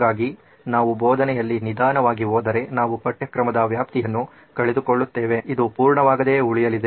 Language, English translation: Kannada, So if we actually go slow in teaching we are going to miss out on the extent of syllabus